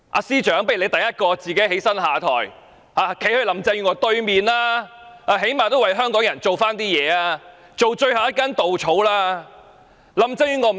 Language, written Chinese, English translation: Cantonese, 司長，不如你首先站起來下台，站在林鄭月娥對面，最低限度也為香港人做點事，當最後一根稻草。, Chief Secretary you had better take the lead to stand up and step down and then stand on the opposite of Carrie LAM . You should at least do something for Hongkongers by acting as the last straw